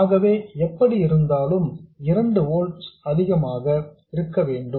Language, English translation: Tamil, So, whatever this is, this has to be greater than 2 volts